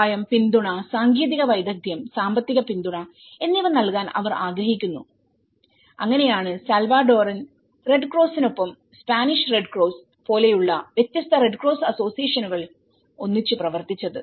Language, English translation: Malayalam, And they want to give their helping hand or the support or the technical expertise or a kind of financial supports so, that is how this is the time different red cross associations like one is a Spanish red cross along with the Salvadoran red cross